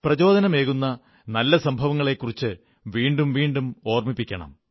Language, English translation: Malayalam, We will have to repeatedly remind ourselves of good inspirational incidents